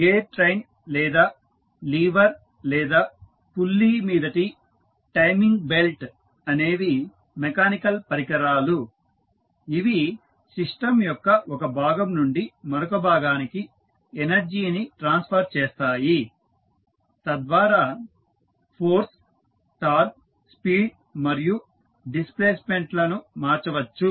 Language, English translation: Telugu, So, gear train or lever or the timing belt over a pulley is a mechanical device that transmits energy from one part of the system to another in such a way that force, torque, speed and displacement may be altered